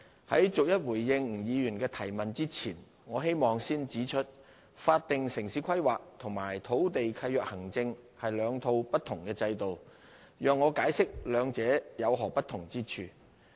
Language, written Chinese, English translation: Cantonese, 在逐一回應吳議員的質詢之前，我希望先指出，法定城市規劃與土地契約行政是兩套不同的制度，讓我解釋兩者有何不同之處。, Before responding to his question part by part I wish to first point out that the statutory town planning and land lease administration are two different systems . Let me explain the differences between them